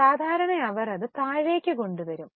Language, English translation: Malayalam, Normally they bring it down